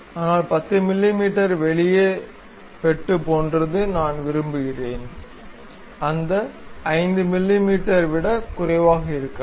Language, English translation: Tamil, But something like 10 mm cut I would like to have, may be lower than that 5 mm